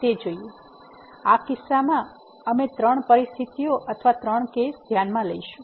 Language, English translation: Gujarati, So, in this case we will consider three situations or three cases again